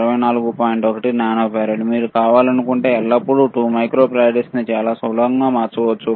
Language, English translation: Telugu, 1 nano farad, you can always convert 2 microfarad if you want it is very easy